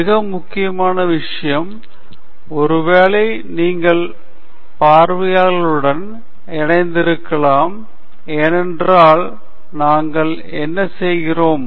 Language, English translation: Tamil, The most important thing perhaps then is connecting with your audience, because that’s what we do